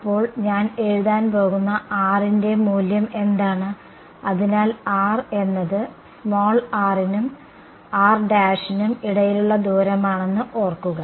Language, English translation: Malayalam, So, what is my value of R that I am going to write; so, R remember is the distance between r and r prime